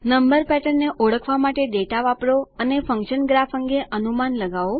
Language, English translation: Gujarati, Use the data to recognize number patterns and make predictions about a function graph